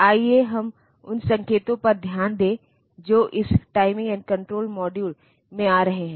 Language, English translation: Hindi, Then these, let us look into the signals that are coming into this timing and control module